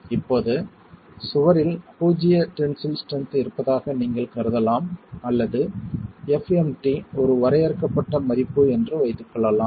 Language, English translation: Tamil, Now you could assume that the wall has zero tensile strength or assume that FMT is a finite value